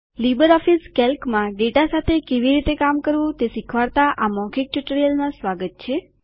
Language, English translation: Gujarati, Welcome to the Spoken tutorial on LibreOffice Calc – Working with data